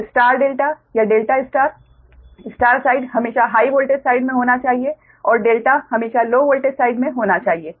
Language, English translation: Hindi, so star delta or delta, star star side should always be at the high voltage side and delta should be always low voltage side